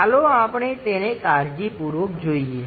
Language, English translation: Gujarati, Let us carefully look at it